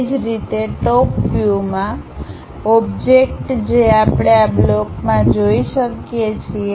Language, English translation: Gujarati, Similarly, in top view the object what we can see as a block, is this block